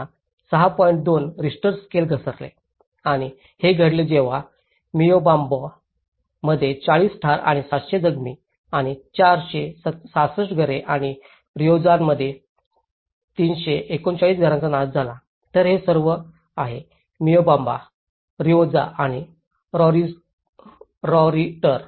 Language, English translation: Marathi, 2 Richter scale have occurred and this is when 40 deaths and 700 injuries and the destruction of 466 homes in Moyobamba and 339 in Rioja affecting so this is all, the Moyobamba and Rioja and Soritor